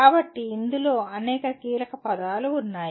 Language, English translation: Telugu, So there are several keywords in this